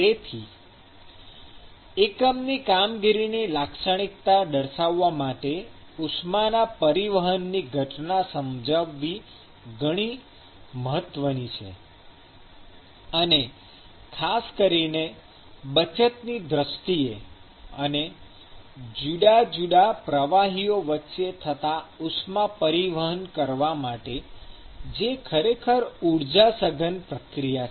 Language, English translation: Gujarati, So, understanding the heat transport phenomena is actually very important in characterizing these unit operations, and particularly in terms of the saving cost and transporting heat between different fluids, which is actually an energy intensive process